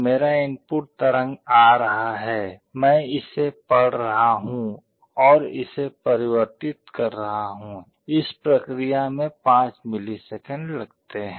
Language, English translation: Hindi, My input waveform is coming, I am reading it, and converting it the process takes 5 milliseconds